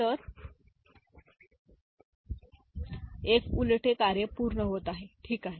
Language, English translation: Marathi, So, there is an inversion getting done, ok